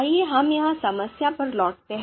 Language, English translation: Hindi, So let us come back to the problem here